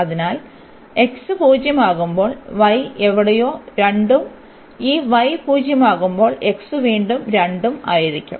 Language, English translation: Malayalam, So, when x is 0 y is 2 somewhere and when this y is 0, x will be 2 again